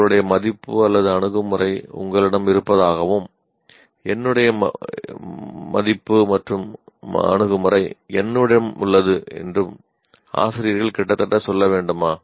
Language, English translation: Tamil, Should the teachers merely say, you have your value or attitude, I have my value and attitude